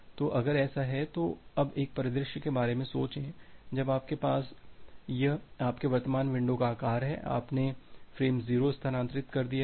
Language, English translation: Hindi, So, if that is the case now think of a scenario when you have you this is your current window size you have transferred frame 0